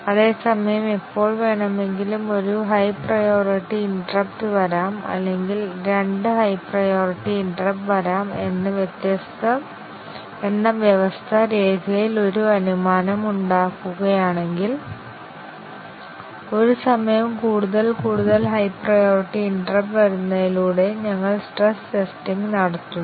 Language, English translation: Malayalam, At the same time, if the system makes an assumption in the requirement document that any time only one high priority interrupt can come or two priority interrupt can come, we do the stress testing by having slightly more number of higher priority interrupt coming at a time